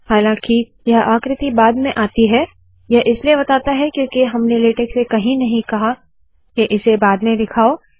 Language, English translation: Hindi, Although the figure comes later on, it shows this because no where have we told latex to show this later